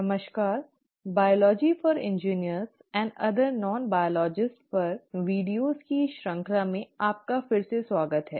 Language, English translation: Hindi, Hello and welcome back to these series of videos on biology for engineers and other non biologists